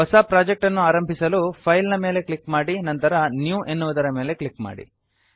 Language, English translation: Kannada, To start a new project, click on File and then click on New